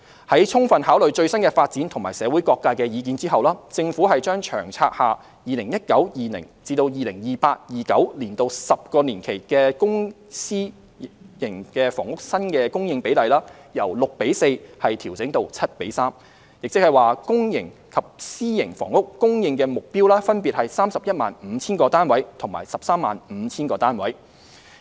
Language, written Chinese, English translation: Cantonese, 在充分考慮最新的發展和社會各界的意見後，政府將《長策》下 2019-2020 年度至 2028-2029 年度10年期的公私營房屋新供應比例，由 6：4 調整至 7：3， 即公營及私營房屋供應目標分別為 315,000 個單位及 135,000 個單位。, After taking into consideration the latest developments and views from various sectors the Government has revised the publicprivate split for the 10 - year period from 2019 - 2020 to 2028 - 2029 from 6col4 to 7col3 ie . the supply targets for public and private housing will be 315 000 units and 135 000 units respectively